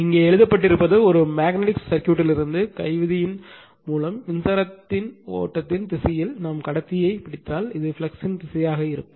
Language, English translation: Tamil, That is what has been written here you apply the, right hand rule from a magnetic circuit, you grab the conductor in the direction of the flow of the current and your term will be the direction of the flux, right